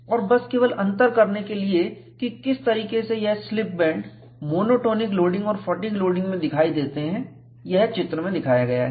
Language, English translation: Hindi, And just to distinguish, what way the slip bands appear in monotonic loading and fatigue loading, this diagram is shown